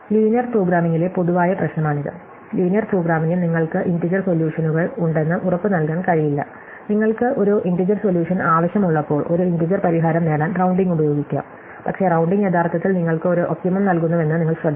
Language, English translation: Malayalam, So, this is the general problem with linear programming which is linear programming cannot guarantee that you have the integer solutions, when you want an integer solution you can use rounding to achieve an integer solution, but you have to be careful that the rounding actually gives you one optimum